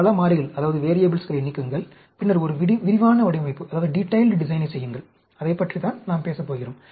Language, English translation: Tamil, Eliminate many variables, and then, do a detailed design; and that is what we are going to talk about